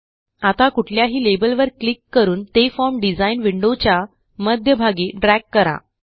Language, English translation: Marathi, Now let us click and drag on any label, toward the centre of the form design window